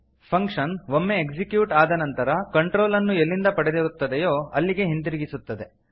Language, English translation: Kannada, Once executed, the control will be returned back from where it was accessed